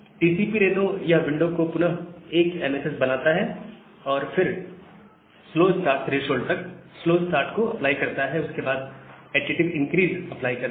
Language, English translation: Hindi, So, TCP Reno, it makes the congestion window again to 1 MSS, and then apply slow start threshold up to slow start, up to the slow start threshold, and then applies the additive increase